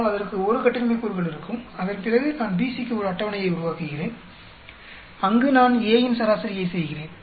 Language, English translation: Tamil, But, it will have 1 degree of freedom, then after that I make a table for BC, where I am averaging out A